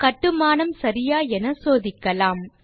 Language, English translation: Tamil, To verify that the construction is correct